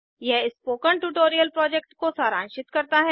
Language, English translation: Hindi, It s ummarizes the Spoken Tutorial project